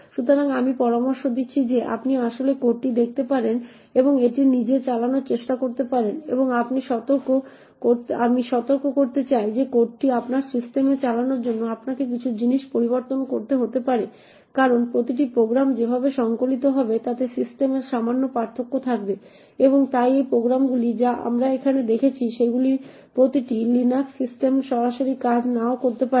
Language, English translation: Bengali, So, I suggest that you could actually look at the code and try to run it yourself and also I would like to warn that you may require to change a few things in the code to actually get it running on your system the reason being that every system would have slight differences in the way the programs would get compiled and therefore these programs that we see here may not directly work in every LINUX system, so you may require to modify a few statements here and there to actually get it to work